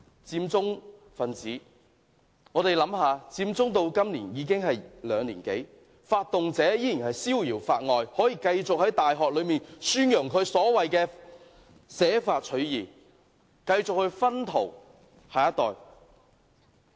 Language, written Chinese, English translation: Cantonese, 我們想一想，佔中發生至今已有兩年多，發動者仍然逍遙法外，可以繼續在大學內宣揚他所謂的捨法取義主張，繼續"薰陶"下一代。, Come to think about it . It has been more than two years since the Occupy Central occurred yet the organizer has not yet been punished by law and is still advocating this idea so - called sacrificing law for justice in the university and influence the next generation